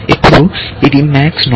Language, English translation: Telugu, Now, this is a max node